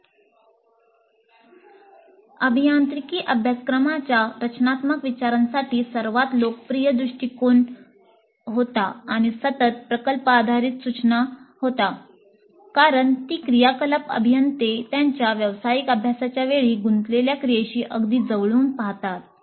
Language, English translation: Marathi, Now, as discussed in these earlier units, the most popular approach for design thinking in engineering curricula was and continues to be project based instruction because that activity most closely resembles the activity that engineers engage in during their professional practice